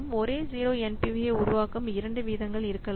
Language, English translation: Tamil, There can be but two rates that will produce the same 0 NPV